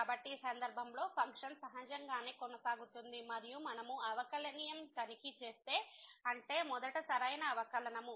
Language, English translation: Telugu, So, the function is naturally continues in this case and if we check the differentiability; that means, the right derivative first